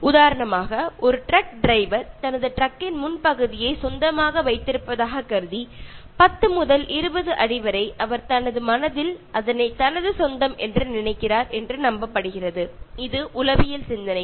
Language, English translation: Tamil, Take for instance, a truck driver who assumes that while driving he owns the front area of his truck, it is believed that up to 10 to 20 feet he thinks that he is owning in his mind, in his psychological thinking